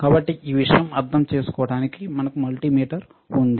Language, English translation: Telugu, So, to understand this thing we have something called multimeter